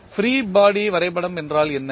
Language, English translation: Tamil, What is free body diagram